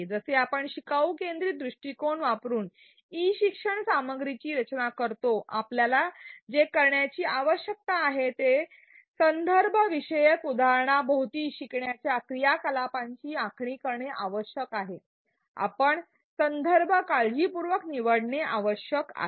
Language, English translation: Marathi, As we design e learning content using a learner centric approach; what we need to do is to design learning activities around a contextualized example we need to choose the context carefully